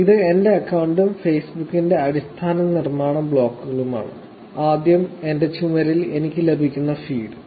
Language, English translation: Malayalam, This is my account and the basic building blocks of Facebook, first is the feed that I get on my Wall